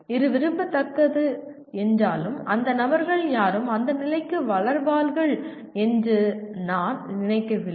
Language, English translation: Tamil, While it is desirable, I do not think any of the persons will grow to that stage